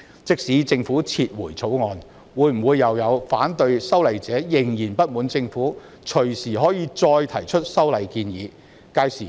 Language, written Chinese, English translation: Cantonese, 即使政府撤回《條例草案》，會否又有反對修例者仍然不滿政府可以隨時再提出修例建議？, Even if the Government withdraws the Bill will some opponents of the legislative amendment still be dissatisfied saying that the Government may propose amendments again at any time?